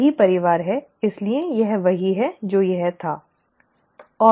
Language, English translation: Hindi, It is the same family so this is what it was, right